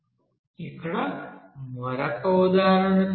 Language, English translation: Telugu, Let us do another example here